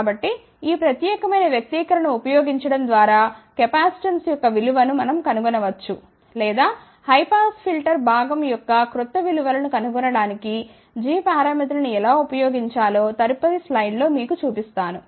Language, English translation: Telugu, So, we can find the value of the capacitance by using this particular expression or I will show you in the next slide, how to use the g parameters itself to find the new values of the high pass filter component